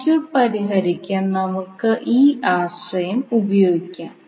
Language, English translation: Malayalam, So we will utilize this concept to solve the circuit